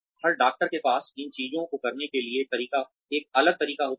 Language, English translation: Hindi, Every doctor has a different way of doing these things